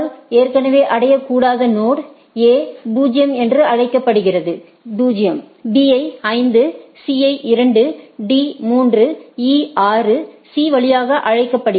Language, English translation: Tamil, So, no reaching node A is called 0, B is 5, C is 2, D is 3 and E is 6 via C right